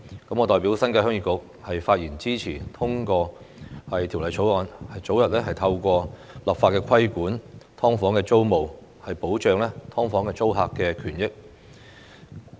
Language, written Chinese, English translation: Cantonese, 我代表新界鄉議局發言支持通過《條例草案》，早日透過立法規管"劏房"租務，保障"劏房"租客的權益。, On behalf of the Heung Yee Kuk New Territories I speak in support of the passage of the Bill to introduce tenancy regulation on subdivided units SDUs through legislation as soon as possible so as to protect the interests of SDU tenants